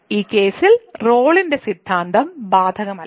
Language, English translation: Malayalam, So, the Rolle’s Theorem is not applicable in this case